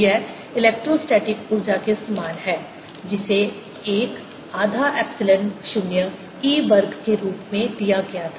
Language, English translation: Hindi, this is similar to the electrostatic energy which was given as one half epsilon zero e square